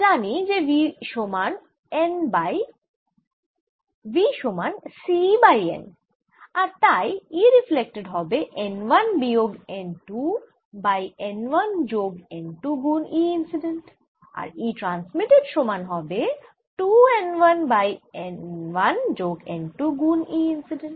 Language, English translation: Bengali, now i know v is c, y, n and therefore e reflected is going to be n, one minus n, two over one plus n, two, e incident